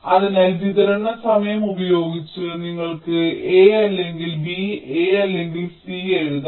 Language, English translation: Malayalam, so in distributive law you can write a or b, a or c